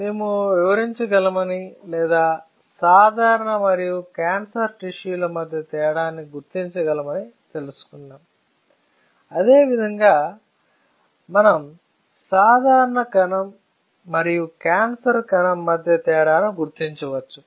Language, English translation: Telugu, So, we were able to understand that we can delineate or we can differentiate between the normal and the cancer tissue is not it; the same way we can differentiate between a normal cell and a cancerous cell